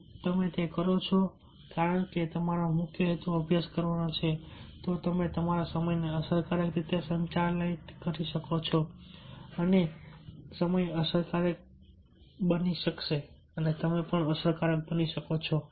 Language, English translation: Gujarati, if you do that, because it is your main purpose is to study you can manage your time effectively and can be effective